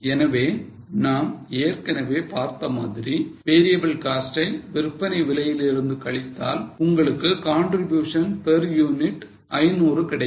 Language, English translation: Tamil, So, we have seen that variable cost to be deducted from SP, you will get contribution per unit of 500